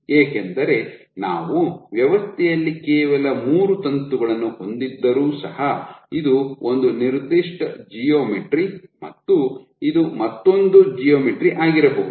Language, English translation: Kannada, Because even if we have only three filaments in the system this is one particular geometry versus this might be another geometry